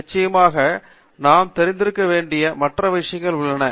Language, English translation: Tamil, And of course, there are also other things that we must be familiar